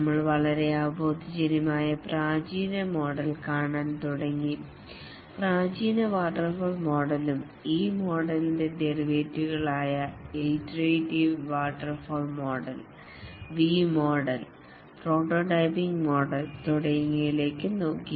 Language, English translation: Malayalam, We had started looking at the classical model which is very intuitive, the classical waterfall model and the derivatives of this model, namely the iterative waterfall model, looked at the V model, prototyping model, and so on